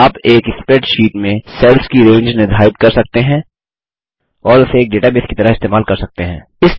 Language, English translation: Hindi, You can define a range of cells in a spreadsheet and use it as a database